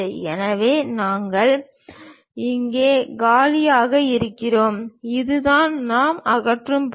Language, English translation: Tamil, So, we have empty here and this is the part which we are removing